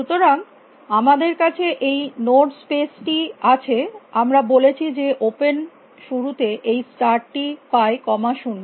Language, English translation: Bengali, So, we have this node space we said that initially open gets this pair of start comma nil